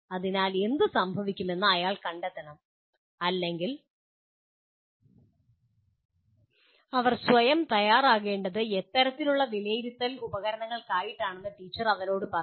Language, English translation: Malayalam, So what happens, he has to find out or the teacher has to tell him what kind of assessment tools towards which they have to prepare themselves